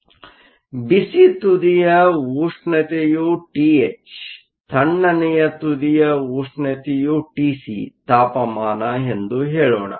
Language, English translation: Kannada, So, let us say the temperature of the hot end is T h, temperature of the cold end T c